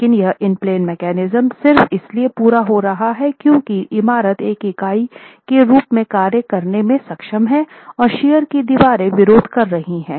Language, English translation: Hindi, But that in plain mechanism is happening simply because the whole building is able to act as one and the shear walls are resisting